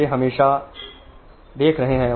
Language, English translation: Hindi, They are always there